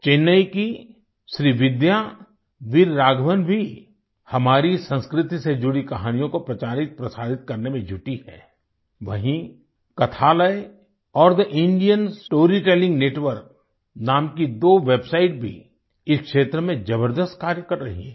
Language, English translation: Hindi, Srividya Veer Raghavan of Chennai is also engaged in popularizing and disseminating stories related to our culture, while two websites named, Kathalaya and The Indian Story Telling Network, are also doing commendable work in this field